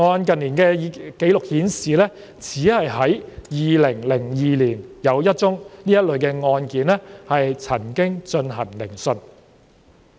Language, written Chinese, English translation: Cantonese, 近年的紀錄顯示，只在2002年有一宗這類的案件曾進行聆訊。, According to the recent records available they could identify only one such case heard in 2002